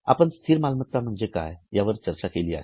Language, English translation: Marathi, We have already discussed what is a fixed asset